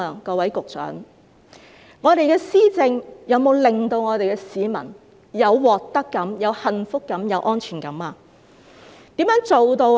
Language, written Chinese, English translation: Cantonese, 各位局長，我們的施政有否令我們的市民有獲得感、幸福感和安全感呢？, Secretaries has our governance given any sense of gain happiness and security to our people?